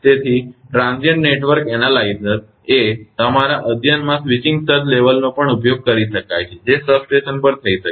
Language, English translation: Gujarati, So, transient network analyzer can also be used to your study the switching surge level that can take place at the substation